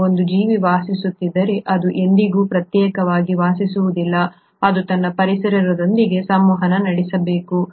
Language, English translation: Kannada, Now if an organism is living, itÕs never living in isolation, it has to communicate with its environment